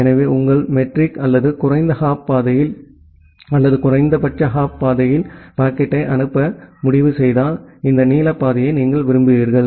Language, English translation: Tamil, So, if your metric or if you decide to forward the packet in the lowest hop path or the minimum hop path then you will prefer this blue path